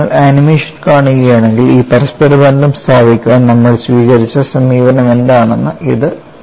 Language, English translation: Malayalam, And if you watch the animation that gives you what is the kind of approach that we have adopted to establish this interrelationship